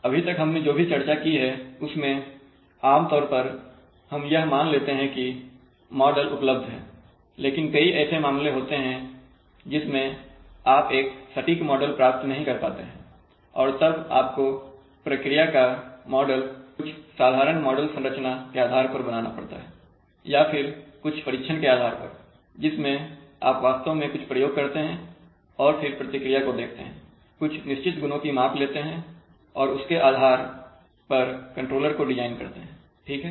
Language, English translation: Hindi, Now all these that we have so far talked about generally employs assumes that that model forms are available but in many cases you may not exactly be able to obtain a, the form of a model and then you must model the process using some simple model structure and based on some experiments, so you actually perform an experiment see the response, measure certain properties of that response and then design your controller based on that right